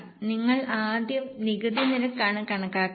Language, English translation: Malayalam, So, we will have to calculate the tax rate